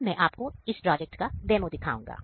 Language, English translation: Hindi, Now, I will give the demo about this project